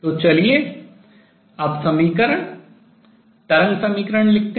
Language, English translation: Hindi, So now let us write the equation wave equation that governs the motion